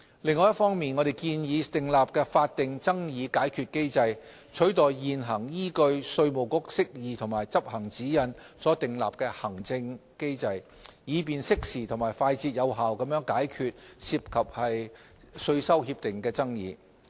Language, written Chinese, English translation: Cantonese, 另一方面，我們建議訂立法定爭議解決機制，取代現行依據稅務局釋義及執行指引所訂立的行政機制，以便適時及快捷有效地解決涉及稅收協定的爭議。, On the other hand we propose to put in place a statutory dispute resolution mechanism to replace the current administrative mechanism which relies on the Departmental Interpretation and Practice Notes of IRD thereby ensuring effective and efficient resolution of treaty - related disputes in a timely manner